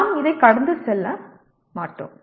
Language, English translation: Tamil, We will not go through this